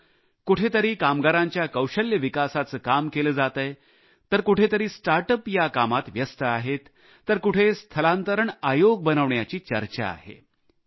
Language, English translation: Marathi, For example, at places skill mapping of labourers is being carried out; at other places start ups are engaged in doing the same…the establishment of a migration commission is being deliberated upon